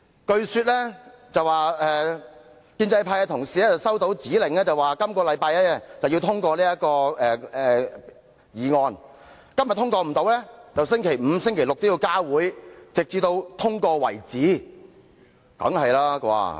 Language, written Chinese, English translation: Cantonese, 據聞建制派同事收到指令，須於本周通過這項議案，如本周未能通過，則星期五或六便要加開會議，直至通過為止。, There is hearsay that the pro - establishment Members have been given directions that this motion has to be passed within this week . Or else additional meetings will be scheduled for Friday or Saturday until it is passed